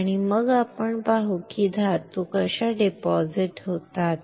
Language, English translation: Marathi, And then we will see how metals are deposited